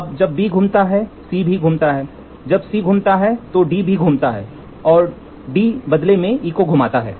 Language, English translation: Hindi, Now, when B rotates, C also rotates, when C rotates, D also rotates and D in turn rotates E